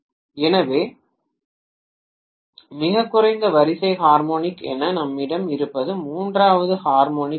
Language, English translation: Tamil, So what we have as the lowest order harmonic is third harmonic